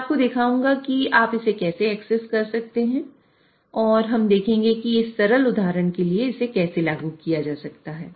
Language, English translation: Hindi, So, I'll show you how you can access it and we'll see how this can be implemented for this simple example